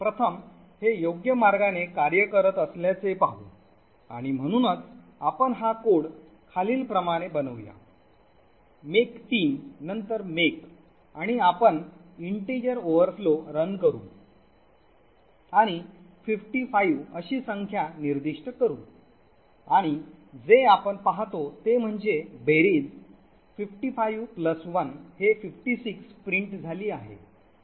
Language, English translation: Marathi, So let us first see this working in the right way and so for example let us make this code as follows make team and then make and you run integer overflow and specify a number a such as 55 and what we see is that the sum is printed as 55 plus 1 is 56